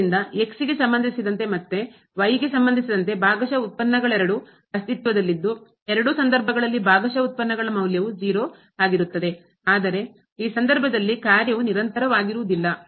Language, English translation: Kannada, So, both the partial derivatives with respect to and with respect to exist the value of the partial derivatives in both the cases are 0 and the function was are not continuous in this case